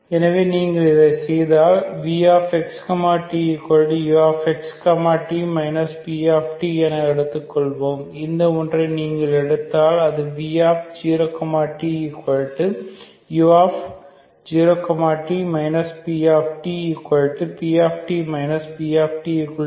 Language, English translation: Tamil, So if you do this so let v of x, t be the u of x, t minus this p of t if you take this one so that v of x, 0 equal to 0 is pt minus pt that is 0, okay